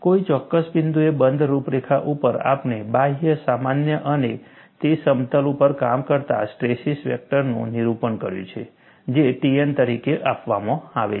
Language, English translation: Gujarati, On the closed contour, at a particular point, we have depicted the outward normal and also the stress vector acting on that plane, which is given as T n